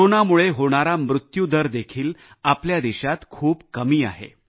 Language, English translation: Marathi, The mortality rate of corona too is a lot less in our country